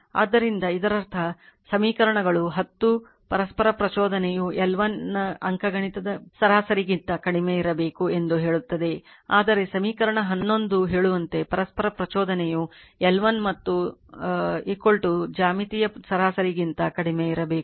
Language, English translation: Kannada, So, ; that means, equations 10 state that a mutual inductance must be less than the arithmetic mean of L 1 L 2, while equation eleven states that mutual inductance must be less than the geometric mean of L 1 and L 2